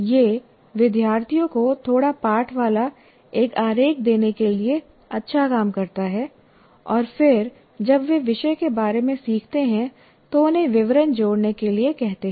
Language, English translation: Hindi, And it works well to give students a diagram with a little text on it and then ask them to add details as they learn about the topic